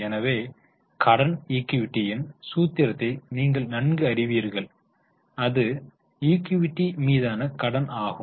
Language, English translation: Tamil, So, you know the formula in debt equity it is debt upon equity